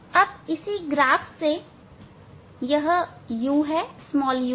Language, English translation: Hindi, Now same way u from this curve itself